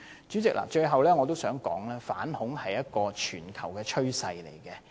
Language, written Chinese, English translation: Cantonese, 主席，最後我想說，反恐是一個全球趨勢。, President finally I would say that anti - terrorism is a global trend